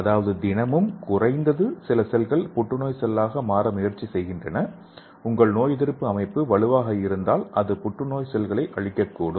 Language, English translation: Tamil, That means everyday at least some cells are trying to become a cancer cell; if your immune system is strong it can destroy the cancer cells